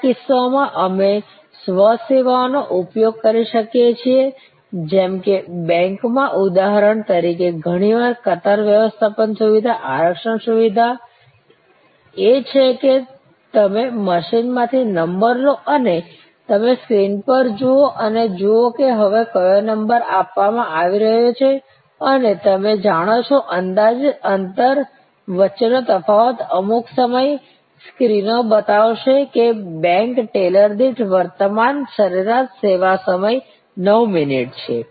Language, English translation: Gujarati, In some cases, we can use self services like the example in the banks often the queue managements system the reservations system is that you take a token from the machine and you look at the screen and see, which number is now getting served and you know the gap between estimated gap some time the screens will show that current average service time per bank teller is 9 minutes